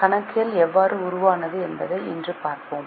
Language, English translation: Tamil, Today let us look at how the accounting evolved